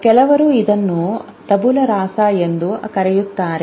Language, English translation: Kannada, Some people used to call it tabula rasa